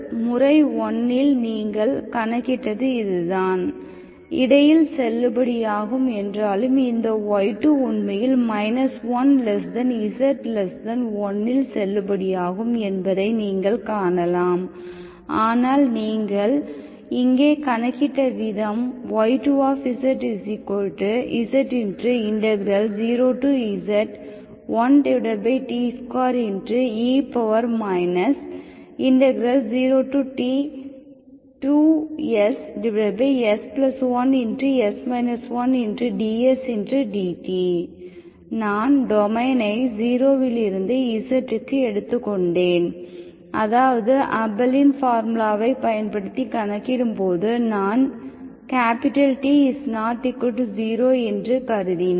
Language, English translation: Tamil, And in the method 1, what you calculated is this, even though it is valid between, you can see that this y2 is actually valid here but the way you calculated here, so I, I took the domain from 0 to z dt, I here, while calculating the Abel’s formula, I assume that T is not equal to 0, okay